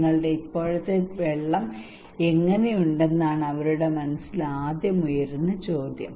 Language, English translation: Malayalam, The first question come to their mind that how is your present water